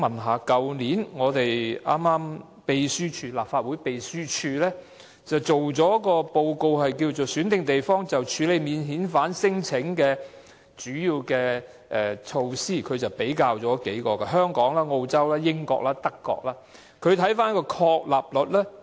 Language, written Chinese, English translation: Cantonese, 去年，立法會秘書處擬備了一份"選定地方處理免遣返聲請的措施"的資料便覽，比較了香港、澳洲、英國及德國的情況。, Last year the Legislative Council Secretariat prepared a fact sheet on the Handling of non - refoulement claims in selected places comparing the situation in Hong Kong Australia the United Kingdom and Germany